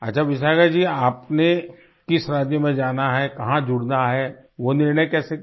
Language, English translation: Hindi, Ok Vishakha ji, how did you decide on the choice of the State you would go to and get connected with